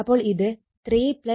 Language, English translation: Malayalam, So, 3 plus 1 plus 0